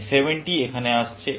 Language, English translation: Bengali, This 70 is coming here